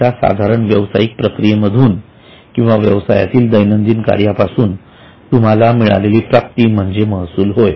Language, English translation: Marathi, Income which you get from a normal business activity or from a day to day business activity is called as revenue